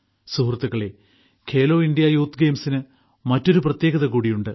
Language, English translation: Malayalam, Friends, there has been another special feature of Khelo India Youth Games